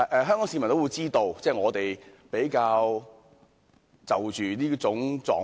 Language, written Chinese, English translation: Cantonese, 香港市民也知道，這是我們比較關注的狀況。, Members of the public in Hong Kong also know that this is a relatively great concern to us